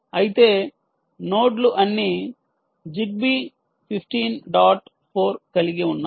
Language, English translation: Telugu, assume, however, the nodes are all zigby enabled: fifteen dot four nodes